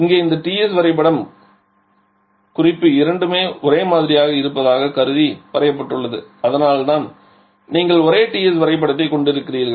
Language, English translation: Tamil, Here this TS diagram has been drawn assuming both the reference to be same and their so you are having the same TS diagram